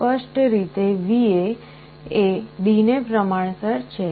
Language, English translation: Gujarati, Clearly, VA is proportional to D